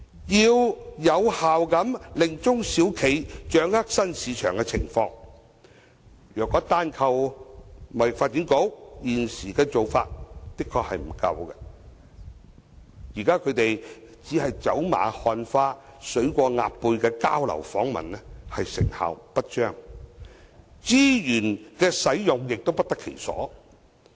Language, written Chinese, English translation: Cantonese, 要有效令中小企掌握新市場的情況，如果單靠香港貿易發展局現時的做法，的確並不足夠，現在只是走馬看花、水過鴨背的交流訪問成效不彰，資源使用亦不得其所。, Relying solely on the existing practice of the Hong Kong Trade Development Council is indeed inadequate for SMEs to effectively grasp the situations of new markets . The current ways of conducting exchanges and visits which are hasty and brief are ineffective and unable to make good use of resources